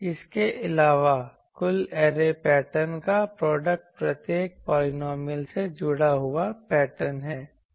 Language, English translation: Hindi, Also so, the total arrays pattern is the product of the patterns associated with each polynomial by itself